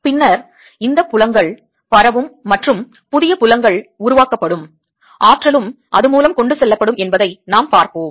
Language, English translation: Tamil, then we'll see that these fields as they propagate and new fields are created, energy also gets transported by it